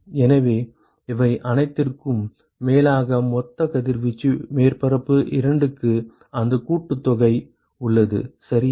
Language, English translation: Tamil, So, sum over all of this is the total incident radiation to surface 2 that is exactly what that summation ok